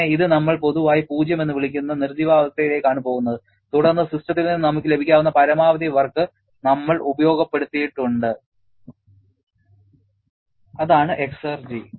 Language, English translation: Malayalam, Then, this one we are going to the dead state which commonly referred as 0, then we have harness the maximum possible work that we could have got from the system and that is what is exergy